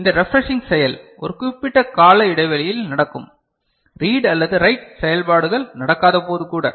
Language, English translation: Tamil, So, this is the refreshing act that is happening at a periodical, periodic interval; even when read or write operations are not taking place, right